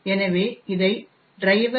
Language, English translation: Tamil, so and driver